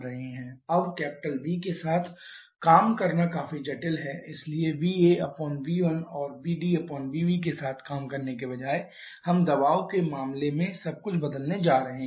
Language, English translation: Hindi, Now what Q is V is quite complicated so instead of working with V A by upon V 1 and P V V D upon V B we are going to convert everything in terms of pressure